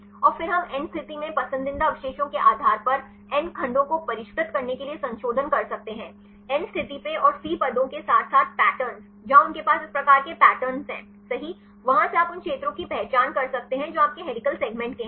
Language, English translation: Hindi, And then we can make the modifications to refine the n segments based on the preferred residues in n, at the N position and the C positions as well as the patterns where they have right this type of patterns, from that you can identify the regions which you belong to helical segments